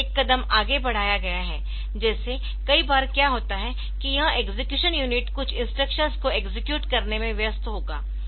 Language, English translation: Hindi, So, here that has been taken one step further like since the many a time what will happen is that this execution unit, so this will be busy do I executing some instruction